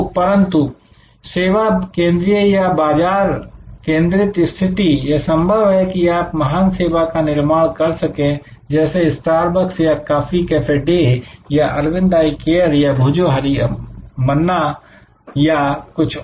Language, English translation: Hindi, But, in a service focused or market focused positioning, it is possible to create great service like Starbucks or coffee cafe day or Arvind Eye Care or Bhojohori Manna and so on